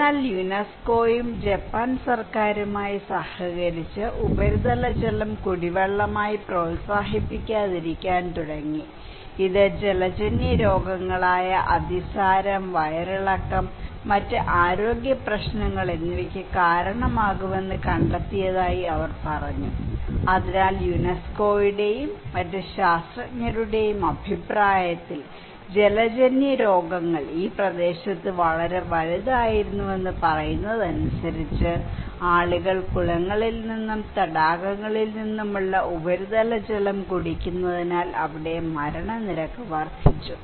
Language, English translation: Malayalam, But UNESCO along with the in collaboration with the Japan government, they started to stop not promoting surface waters as a drinking water, they said that they found that it could lead to waterborne diseases like dysentery and diarrhoea and other health issues so, mortality rate was increasing there because people were drinking surface water from ponds and lakes which according to UNESCO and other scientists was contaminated waterborne disease was enormous in this area